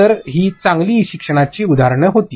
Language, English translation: Marathi, So, these were examples of good e learning